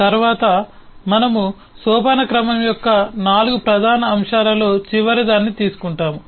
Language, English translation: Telugu, next we take up the last of the 4 major elements, that of hierarchy